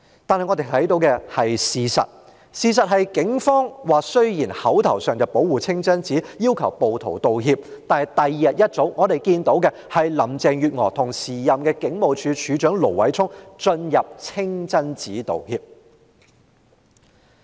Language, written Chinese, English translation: Cantonese, 但我們看到的事實就是雖然當時警方口頭上說要保護清真寺，要求暴徒道歉，但翌日早上，我們便看到林鄭月娥與時任警務處處長盧偉聰進入清真寺作出道歉。, Yet as we can see though the Police verbally claimed that they wanted to protect the mosque and demanded an apology from the rioters . In the next morning however we saw Carrie LAM and the then Commissioner of Police Stephen LO enter the mosque to make apologies